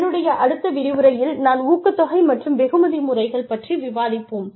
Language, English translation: Tamil, In the next lecture, we will discuss, incentive and reward systems